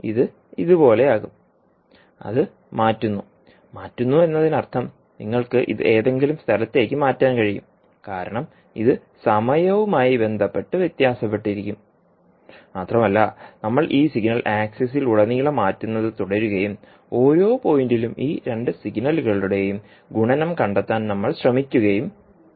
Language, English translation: Malayalam, So this will become like this, shifting it, shifting it means you can shift it at some location because it will vary with respect to time and we will keep on shifting this signal across the access and we will try to find out the multiplication of this signal and this signal point by point and then integrate it so that you can get the product